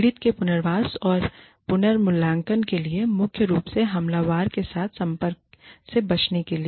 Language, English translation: Hindi, For the victim relocation or reassignment, primarily to avoid contact with the aggressor